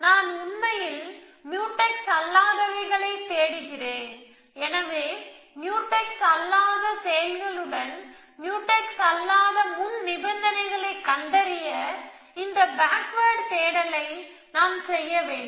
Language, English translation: Tamil, I am looking for non Mutex actually, so I need to do this backward search looking for non Mutex actions with non Mutex preconditions